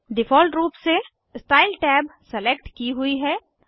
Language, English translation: Hindi, By default Style tab is selected